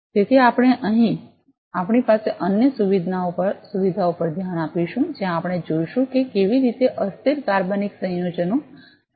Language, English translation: Gujarati, So, we are going to have a look at other facility that we have over here where we will see how volatile organic compounds would be sensed